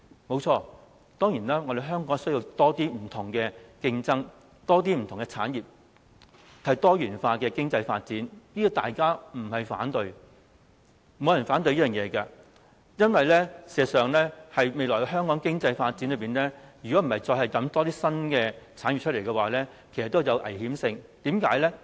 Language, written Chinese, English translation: Cantonese, 不錯，香港當然需要多一些不同的競爭、不同的產業，以及多元化的經濟發展，這個大家不會反對的，因為事實上，如果在香港未來的經濟發展中再也沒有一些新產業，便會有危險性，為甚麼呢？, It is true that Hong Kong certainly needs more competition from various aspects and among different industries and a diversified economic development . This direction will not meet opposition by people as in fact Hong Kong will be running a risk with the absence of new industries in the future economic development . Why?